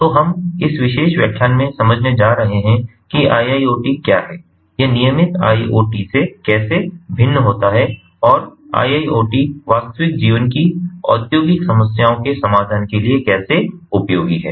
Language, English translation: Hindi, so we are going to understand in this particular lecture ah, what iiot is, how it differs from the regular iot and how iiot solutions are useful ah to ah to real life industrial problems